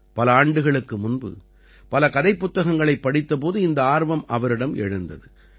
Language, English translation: Tamil, Years ago, this interest arose in him when he read several story books